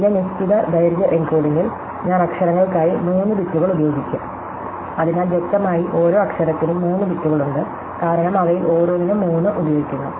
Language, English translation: Malayalam, So, in the fixed length encoding in this, I will use 3 bits for letters, so therefore clearly the number of bits per letter is 3, because I am using 3 for every one of them